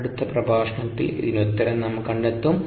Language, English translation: Malayalam, see the solution in the next lecture